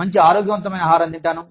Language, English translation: Telugu, I can eat healthy food